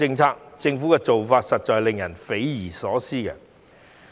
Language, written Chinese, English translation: Cantonese, 政府的做法實在令人匪夷所思。, The Governments approach is outrageous